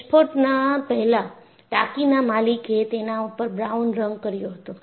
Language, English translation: Gujarati, Before the explosion, the tank's owner painted it brown